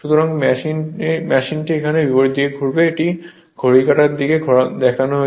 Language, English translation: Bengali, So, machine will rotate in the opposite direction here, it is shown the in the clockwise direction